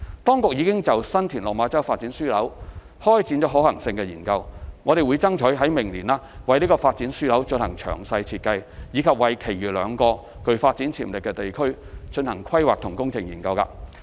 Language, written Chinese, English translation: Cantonese, 當局已就新田/落馬洲發展樞紐開展可行性研究，並爭取明年為這個發展樞紐進行詳細設計，以及為其餘兩個具發展潛力地區進行規劃及工程研究。, The Government has commenced the feasibility study of San TinLok Ma Chau Development Node and will endeavour to carry out the detailed design for the Development Node as well as conducting the planning and engineering studies for the other two PDAs next year